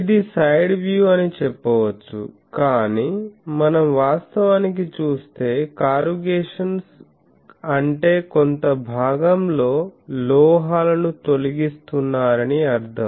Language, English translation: Telugu, Now, this is the you can say side view, but if we look at the things actually corrugation means this that some portion you are removing the metals